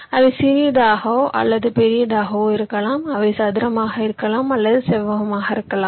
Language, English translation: Tamil, they can be small, they can be big, they can be square, they can be rectangular